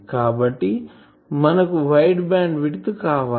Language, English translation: Telugu, So, we want wide bandwidth